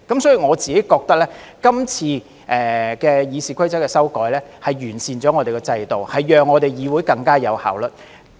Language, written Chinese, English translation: Cantonese, 所以，我覺得今次修改《議事規則》是完善了立法會的制度，讓議會更有效率。, Therefore I think the amendments to RoP this time around will improve the system of the Legislative Council and enhance the efficiency of the legislature